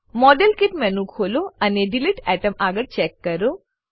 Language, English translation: Gujarati, Open modelkit menu and check against delete atom